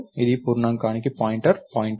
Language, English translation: Telugu, Its a pointer to a pointer to an integer